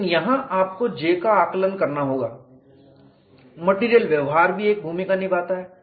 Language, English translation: Hindi, But here we have to evaluate J material behavior also place a role